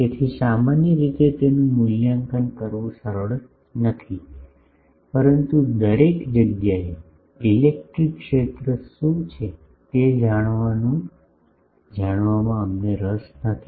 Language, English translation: Gujarati, So, generally the, it is not easy to evaluate it, but we are also not interested to know what is the electric field everywhere